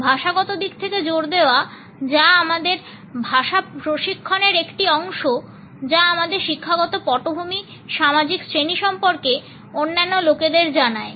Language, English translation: Bengali, The linguistic stress, which is a part of our language training, tells the other people about our educational background, the social class